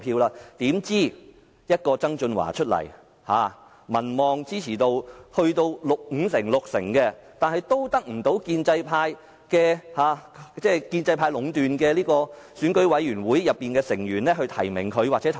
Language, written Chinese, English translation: Cantonese, 怎知道曾俊華參選，民望支持度多達五六成，但都得不到由建制派壟斷的選舉委員會的成員提名或投票。, Anyway it was to our surprise that John TSANG a candidate with a popularity and support rating standing at 50 % to 60 % could not obtain nomination or enough votes from the Election Committee which is dominated by the pro - establishment camp